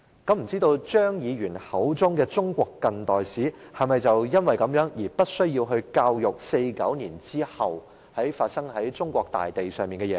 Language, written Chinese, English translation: Cantonese, 我不知道張議員口中的"中國近代史"，是否因而無須教授1949年後在中國大地上發生的事情？, I wonder whether the contemporary Chinese history as referred to by Mr CHEUNG would cover the following incidents that took place in China since 1949